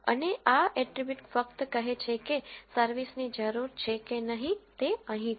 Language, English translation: Gujarati, And this attribute simply says whether service is needed or not that is what here